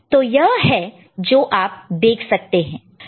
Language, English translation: Hindi, So, that is what you can see